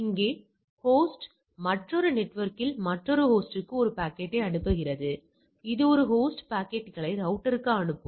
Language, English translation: Tamil, Here the host want to send a packet to another host on the another network; that means, the host will send to the router right